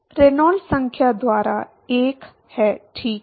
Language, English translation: Hindi, There is 1 by Reynolds number, right